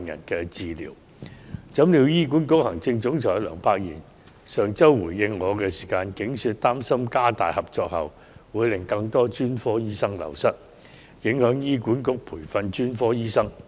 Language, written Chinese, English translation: Cantonese, 豈料，醫管局行政總裁梁柏賢在上周回應我時，竟說擔心加強合作後，會令更多專科醫生流失，因而影響醫管局培訓專科醫生。, To our surprise Dr LEUNG Pak - yin Chief Executive of HA said in his reply last week that he was concerned that enhanced cooperation might lead to an even higher turnover of specialists thus affecting HAs training of specialists